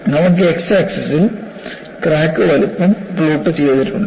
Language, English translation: Malayalam, You have on the x axis crack size is plotted